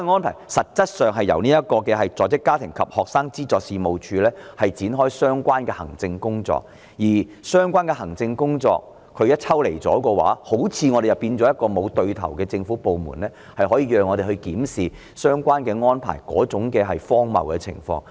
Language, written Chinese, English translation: Cantonese, 但是，實質上是由在職家庭及學生資助事務處進行有關安排的相關行政工作，而相關的行政工作一旦抽離，似乎便出現好像沒有一個對口的政府部門可讓我們檢視相關安排的荒謬情況。, However the fact is that the Working Family and Student Financial Assistance Agency is responsible for undertaking the relevant administrative work and in the event that the relevant administrative work is separated from it there is apparently no appropriate government department against which we can examine the absurdity of the relevant arrangement